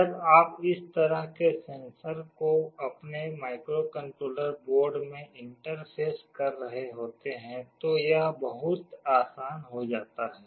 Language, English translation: Hindi, When you are interfacing such a sensor to your microcontroller board, it becomes very easy